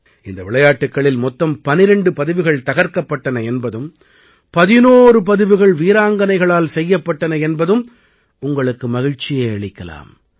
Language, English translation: Tamil, You would love to know that a total of 12 records have been broken in these games not only that, 11 records have been registered in the names of female players